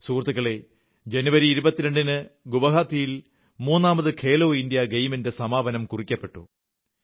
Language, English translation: Malayalam, Friends, on 22nd January, the third 'Khelo India Games' concluded in Guwahati